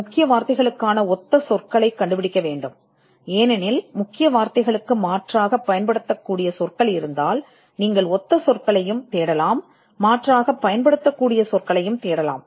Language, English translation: Tamil, You should also find out the synonyms for keywords, because if there are words which can have which can be alternatively used, then you would also search the synonyms, and then do a search of the alternative words as well